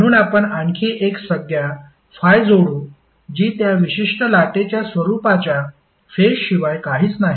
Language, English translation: Marathi, So we add another term called phi which is nothing but the phase of that particular waveform